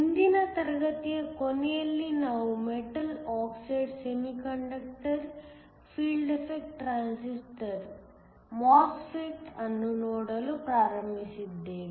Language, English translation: Kannada, Towards the end of last class we started looking at a Metal Oxide Semi Conductor Field Effect Transistor